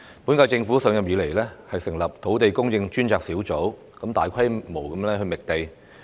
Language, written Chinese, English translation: Cantonese, 本屆政府上任後，成立了土地供應專責小組，大規模覓地。, After the current - term Government assumed office the Task Force on Land Supply was set up for extensive site search